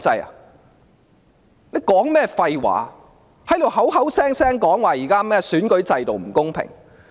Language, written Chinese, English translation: Cantonese, 他在說甚麼廢話，口口聲聲說現在的選舉制度不公平？, What is all this nonsense about the unfairness of the existing electoral system coming off his mouth?